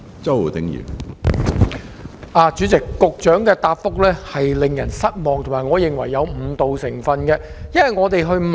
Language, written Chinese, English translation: Cantonese, 主席，局長的答覆令人失望，而我亦認為有誤導成分。, President the Secretarys reply is disappointing and in my view also misleading